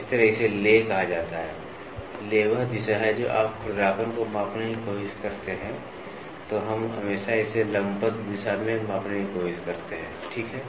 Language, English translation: Hindi, This way it is called as the lay, the lay is the direction which is when you try to measure roughness, we always try to measure it in the perpendicular direction, ok